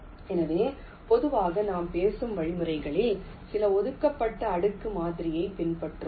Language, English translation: Tamil, so usually most of the algorithm we talk about will be following some reserved layer model